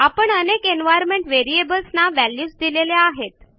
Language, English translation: Marathi, We have assigned values to many of the environment variables